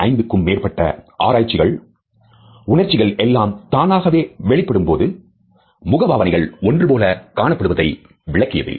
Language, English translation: Tamil, Over 75 studies have demonstrated that these very same facial expressions are produced when emotions are elicited spontaneously